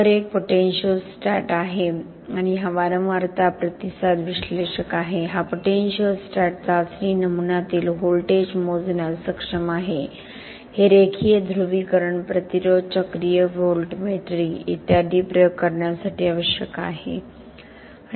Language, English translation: Marathi, This is a potentiostat and this a frequency response analyser, this potentiostat is capable of measuring voltage in the test specimen this is required for doing a conducting experiments such as linear polarisation resistance, cyclic voltammetry etc